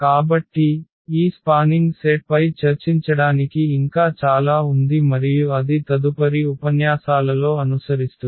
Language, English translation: Telugu, So, there is a lot more to discuss on this spanning set and that will follow in the next lectures